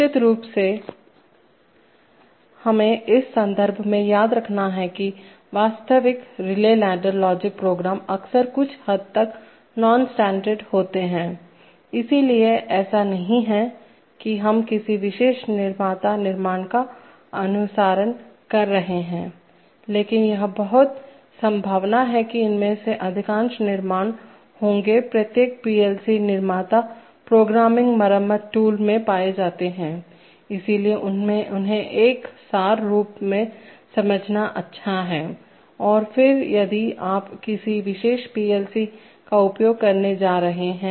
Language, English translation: Hindi, Of course we must remember in this context that there are real, relay ladder logic programs are often somewhat non standard, so it is not that we are following a particular manufacturers constructs but it is very, very likely that most of these constructs will be found in each PLC manufacturers programming repair toil, so it is good to understand them in an abstract form and then if you are going to use a particular PLC